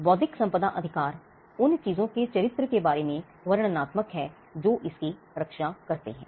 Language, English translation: Hindi, Intellectual property rights are descriptive of the character of the things that it protects